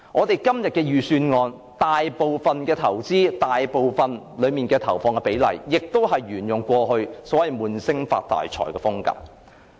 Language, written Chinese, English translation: Cantonese, 財政預算案內大部分的投資，亦是沿用過去"悶聲發大財"的風格。, The majority of the investments in the Budget followed the past approach of keeping our mouth shut and making a fortune